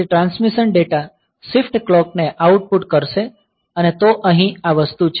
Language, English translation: Gujarati, So, the transmit data will output the shift clock and so, this is the thing